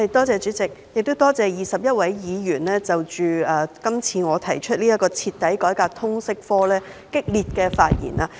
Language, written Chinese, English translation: Cantonese, 主席，多謝21位議員在我提出"徹底改革通識教育科"議案的辯論中熱烈發言。, President I would like to thank the 21 Members who have enthusiastically spoken on my motion on Thoroughly reforming the subject of Liberal Studies